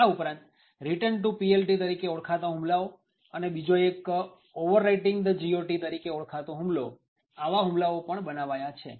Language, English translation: Gujarati, Other attacks have also been created known as the Return to PLT and also another one known as overwriting the GOT